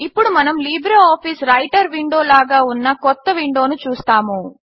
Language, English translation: Telugu, We now see a new window which is similar to the LibreOffice Writer window